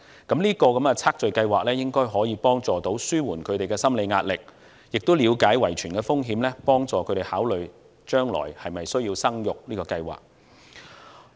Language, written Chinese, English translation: Cantonese, 這項基因組測序計劃應可幫助紓緩他們的心理壓力，亦能了解到遺傳的風險，幫助他們考慮將來的生育計劃。, While this genome sequencing project should be able to help them alleviate their psychological pressure a deeper understanding of genetic risks is also conducive to a better family planning for the future